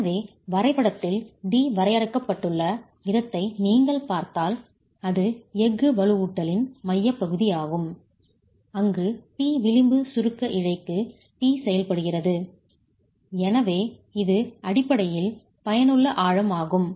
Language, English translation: Tamil, So if you see the way D is defined in the diagram, it's the centroid of the steel reinforcement where T is acting to the edge compression fiber, that's D